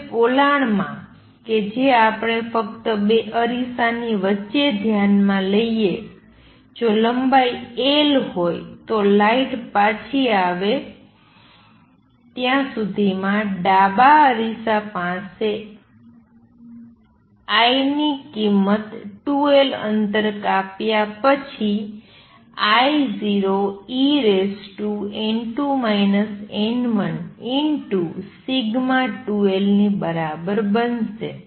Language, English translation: Gujarati, Now in the cavity that we just consider between the two mirror if the length is l, by the light comes back to the original mirror I at the left mirror after travels 2 l distance is going to be equal to I 0 e raise to n 2 minus n 1 sigma times 2 l